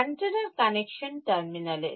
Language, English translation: Bengali, At the connection terminals of antenna